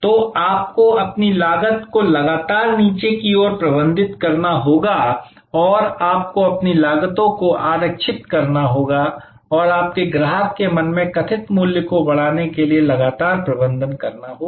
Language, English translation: Hindi, So, you have to manage your cost constantly downwards and you have to reserve your costs and you have to constantly manage for enhancing the perceived value in the mind of the customer